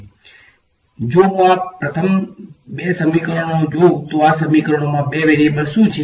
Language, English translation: Gujarati, The two variables are; if I look at these first two equations what are the two variables in these equations